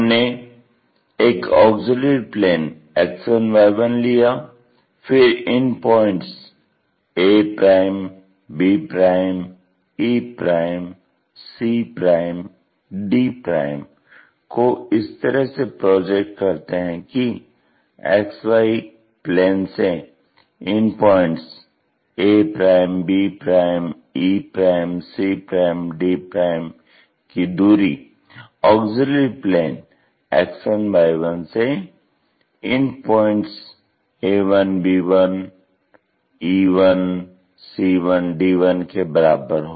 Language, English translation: Hindi, We have used a auxiliary plane X1Y1 then projected these points a', b', e', c', d' points in such a way that the distance between these XY plane to these points represented into a1, b1, c1 and d1 and e1, joining these things we got the true shape